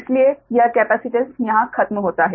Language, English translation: Hindi, so this capacitance one is over, right